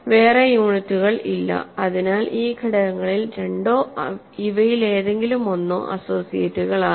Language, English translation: Malayalam, So, there are no other units, so if two and either of these elements are associates